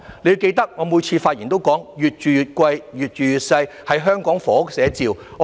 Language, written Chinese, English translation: Cantonese, 你要記得，我每次發言都說"'越住越貴、越住越細'是香港房屋寫照"。, You shall bear in mind that I always say in my speeches flats are getting pricier and smaller is the description of housing in Hong Kong